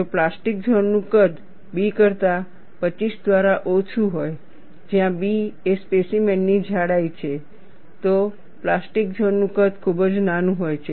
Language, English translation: Gujarati, If the size of the plastic zone is less than B by 25, where B is the thickness of the specimen, the plastic zone size is very small